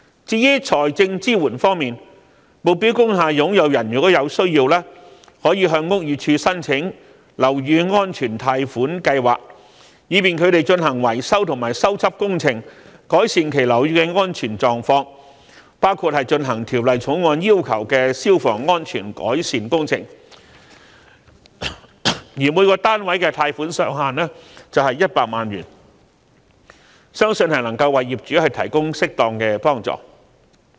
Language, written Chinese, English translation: Cantonese, 至於財政支援方面，目標工廈擁有人如果有需要，亦可向屋宇署申請樓宇安全貸款計劃，以便他們進行維修和修葺工程，改善其樓宇的安全狀況，包括進行《條例草案》要求的消防安全改善工程，每個單位的貸款上限是100萬元，相信能夠為業主提供適當的幫助。, As regards financial assistance whenever necessary owners of target industrial buildings may apply for the Building Safety Loan Scheme launched by BD for carrying out maintenance and repair works to improve the safety of their buildings including the fire safety improvement works required by the Bill subject to a ceiling of 1 million per unit of accommodation . It is believed that the owners can be provided with appropriate assistance